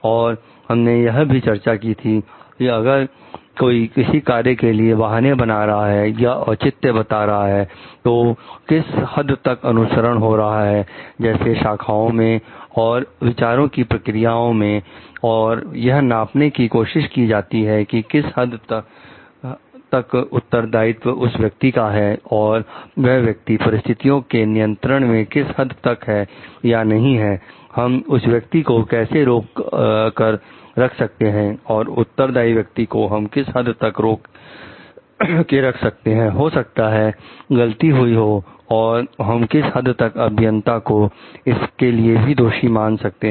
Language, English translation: Hindi, And we have also discussed about if somebody gives certain excuse or justification for a certain acts then, to what extent by following like branching and process of thought and trying to map with the degree of responsibility of the person and the extent to which the person was in control of the situation or not; how can we hold the person to what extent we can hold the person responsible for the, may be errors done and to what extent we can excuse the engineer for it